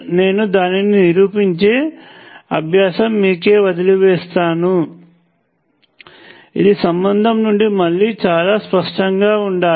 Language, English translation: Telugu, I will leave it as an exercise for you it prove it, it must be again pretty obvious from the relationship